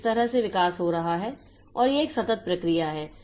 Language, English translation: Hindi, So, this way the evolution is taking place and it is a continuous process